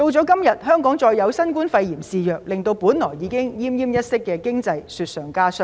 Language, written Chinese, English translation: Cantonese, 今天再有新冠肺炎肆虐，令本來已經奄奄一息的經濟更是雪上加霜。, Today the rampant novel coronavirus epidemic has caused further setbacks to our dying economy